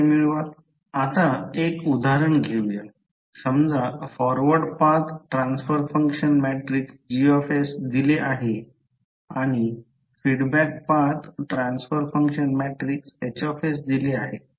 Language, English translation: Marathi, Now, let us take one example suppose forward path transfer function matrix is Gs given and the feedback path transfer function matrix is Hs it is given